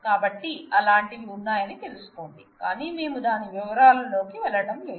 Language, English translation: Telugu, So, just know that such things exist, but we are not going into the details of that